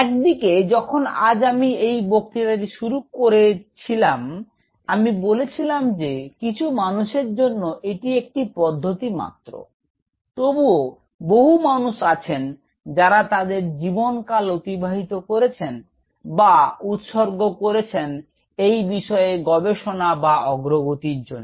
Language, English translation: Bengali, So, on one hand as I; when I started the lecture today, I told you that this is used as a technique for certain people, yet there are a lot many people who have spend their life time in or devoted their life time in discovering or making this field to march ahead